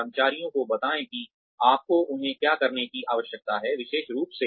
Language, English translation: Hindi, Tell employees, what you need them to do, very specifically